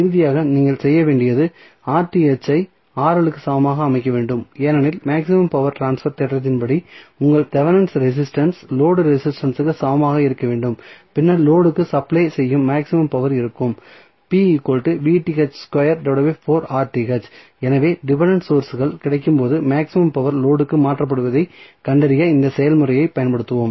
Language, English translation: Tamil, Finally, what you have to do you have to set Rth is equal to Rl because as per maximum power transfer theorem, your Thevenin resistance should be equal to the load resistance and then your maximum power transfer condition that is maximum power transfer being supplied to the load would be given us p max is nothing but Vth square upon Rth upon 4Rth so, will utilize this process to find out the maximum power being transferred to the load when dependent sources are available